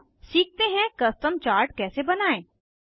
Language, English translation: Hindi, Now, lets learn how to create a Custom chart